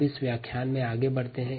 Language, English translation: Hindi, so let us move further in this lecture